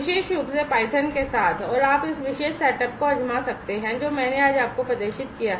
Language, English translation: Hindi, particularly with python and you can try out this particular setup that I have demoed you today